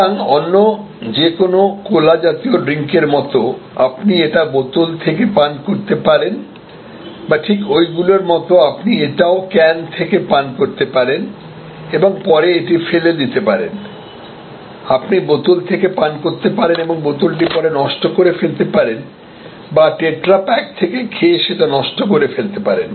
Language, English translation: Bengali, So, just like a cola drink you can drink from the bottle or from the just like there you can drink from the can and throw it away, here you can drink from the bottle and dispose it off or from the tetra pack and dispose it off